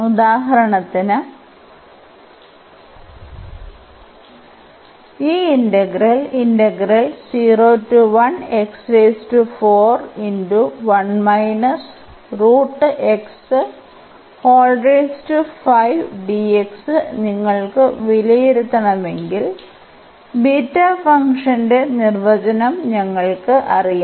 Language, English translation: Malayalam, So, we can you evaluate several such integral with the help of this beta function